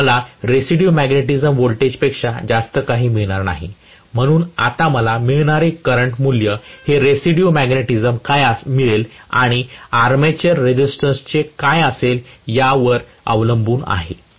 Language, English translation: Marathi, I am not going to get anything more than the residual magnetism voltage, so the current I get depends now upon what is residual magnetism and what is the value of armature resistance